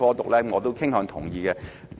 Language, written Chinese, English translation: Cantonese, 對此我是傾向同意的。, I tend to support this proposal